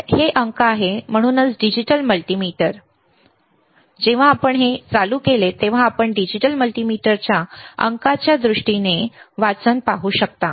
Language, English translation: Marathi, So, these digits that is why it is a digital multimeter, digital right; when you can see this play you can see the readings right in terms of digits digital multimeter